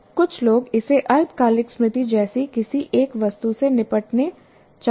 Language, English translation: Hindi, And some people want to deal it with as a single item like short term memory